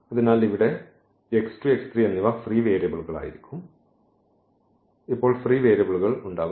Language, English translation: Malayalam, So, we have the free variable we have the free variable